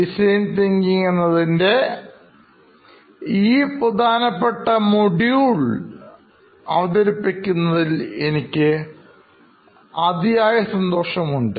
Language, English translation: Malayalam, Today, I am very excited to present to you the first module of design thinking